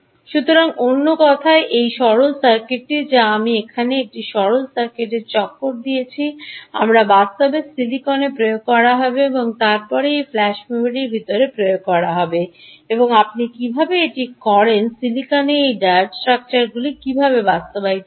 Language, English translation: Bengali, in other words, this simple circuit which i have circled here, this simple circuit, we will actually be implemented in silicon: ah and then ah implemented inside this flash memory